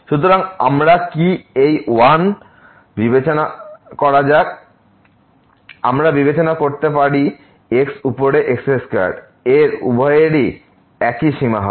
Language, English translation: Bengali, So, what we have let us consider this 1 we could have considered square over square both will result to the same limit